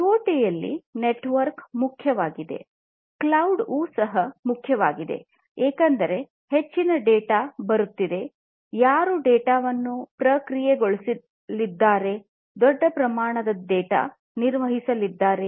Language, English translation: Kannada, So, this IoT the network is important; this network is important and cloud is also important, because lot of data are coming in, who is going to process the data; so much of data difficult to handle